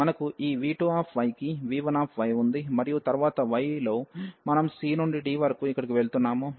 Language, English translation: Telugu, So, we have v 1 y to this v 2 y and then in the y we are going here from c to d